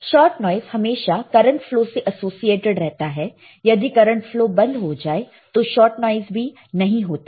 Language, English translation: Hindi, Shot noise always associated with current flow and it stops when the current flow stops